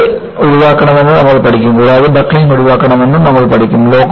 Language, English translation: Malayalam, You will learn yielding should be avoided and also, you will learn that buckling should be avoided